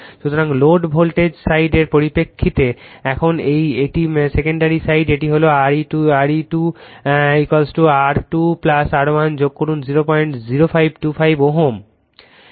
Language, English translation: Bengali, So, in terms of low voltage side now that is your secondary side, right it is Re 2 is equal to R 2 plus R 1 dash you add it it is 0